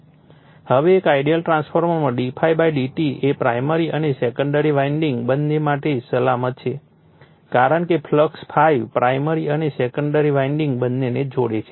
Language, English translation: Gujarati, Now, in an ideal transformer d∅ d psi /dt is same for both primary and secondary winding because the flux ∅ linking both primary and secondary winding